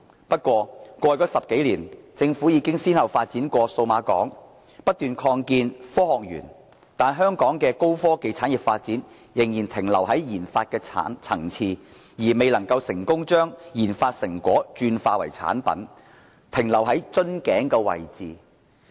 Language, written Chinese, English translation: Cantonese, 不過，在過去10多年，政府已經先後發展數碼港、不斷擴建科學園，但香港的高科技產業發展卻仍然停留在研發層次，未能成功把研發成果轉化為產品，只停留在瓶頸位置。, Nonetheless despite having developed the Cyberport and continuously expanded the Science Park over the last 10 years or so the Government is still unable to take our high - tech sector beyond the stage of research and development RD